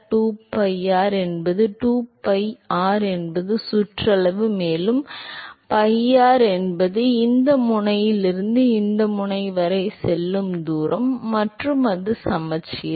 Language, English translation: Tamil, 2pi r is the 2pi r is the circumference also pi r is the distance going from this end to this end and it is symmetric